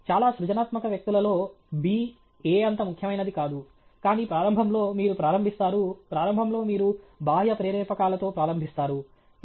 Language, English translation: Telugu, In very highly creative people b is not so important as a, but initially you will start with, initially you will start with extrinsic motivator